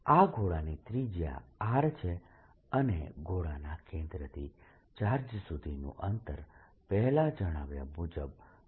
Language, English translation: Gujarati, the radius of this sphere is given to be r and the distance from the sphere centre to the charge is d, as already shown here